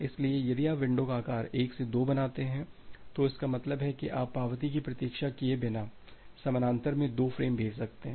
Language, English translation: Hindi, So, if you make the window size 2 from 1: that means, you can send 2 frames in parallel without waiting for the acknowledgement